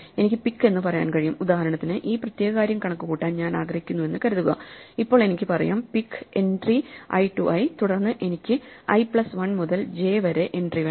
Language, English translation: Malayalam, I can say pick, so for example, supposing I want to compute this particular thing then I have to say pick this entry i to i and then I want the entry i plus 1 to j